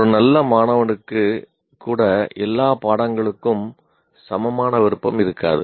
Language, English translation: Tamil, Even a good student may not have equal liking for all subjects